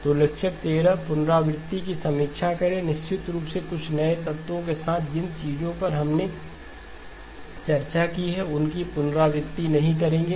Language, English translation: Hindi, So lecture 13 recap or a review, of course with a little bit of some new elements avoiding complete repetition of the things that we have discussed